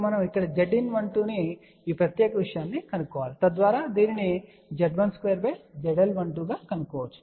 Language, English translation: Telugu, Now we need to find Z in 1 2 at this particular thing here, so that can be found as Z1 square divided by ZL 1 2